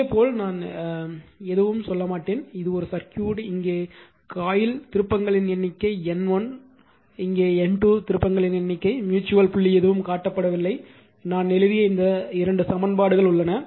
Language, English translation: Tamil, Similarly this one I will not tell you anything this I leave it to you a circuit is shown right that you are that is coil here you have N number of turns a N 1 number of turns, N 2 number of turns mutual dot nothing is shown something you put, I am aided something and all this equal two equations I have written right